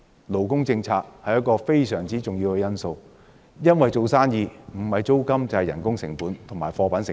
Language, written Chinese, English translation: Cantonese, 勞工政策是一個非常重要的因素，因為做生意不是要考慮租金，便是要考慮人工成本及貨品成本。, Labour policy is a very important factor . The factors which need to be taken into account when doing business range from rental manpower and goods costs